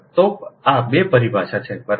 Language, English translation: Gujarati, so this is the two terminology, right